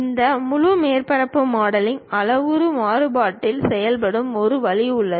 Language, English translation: Tamil, There is a way this entire surface modelling works in the parametric variation